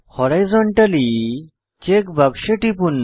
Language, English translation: Bengali, Lets click on Horizontally check box